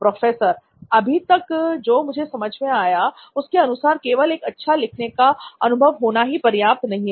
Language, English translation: Hindi, So as far as I understand it is not enough if you have a good writing experience alone